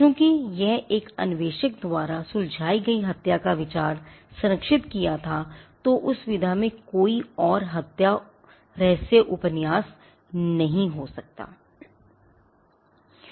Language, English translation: Hindi, Because, that is an idea of a murder being solved by an investigator was that is protected then there cannot be any further murder mystery novels in that genres